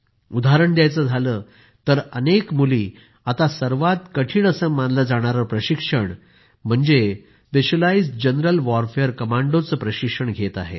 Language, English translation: Marathi, For example, many daughters are currently undergoing one of the most difficult trainings, that of Specialized Jungle Warfare Commandos